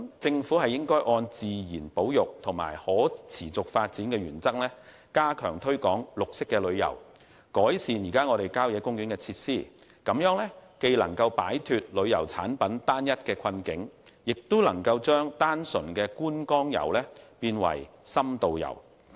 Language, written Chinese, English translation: Cantonese, 政府應按自然保育及可持續發展的原則加強推廣綠色旅遊，改善郊野公園設施，既能擺脫旅遊產品單一的困局，亦能將單純的觀光遊升級為深度遊。, The Government should step up the promotion of green travel in line with the principles of nature conservation and sustainable development as well as improve the facilities in country parks . This can not only diversify our homogeneous tourism products but can also upgrade purely sightseeing tourism to in - depth tourism